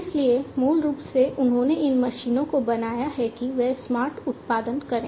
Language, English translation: Hindi, So, basically they have made these machines that they produce smarter